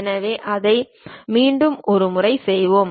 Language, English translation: Tamil, So, let us do it once again